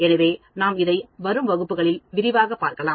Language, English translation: Tamil, So, we will continue more of it as we go along in the forthcoming classes